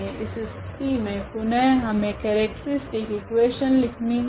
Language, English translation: Hindi, So, in this case again we need to write the characteristic equation